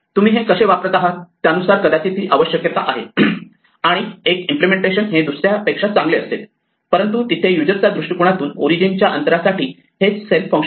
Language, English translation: Marathi, This might be a requirement depending on how you are using it and one implementation may be better than the other, but from the user's perspective the same function is there there is self there is o distance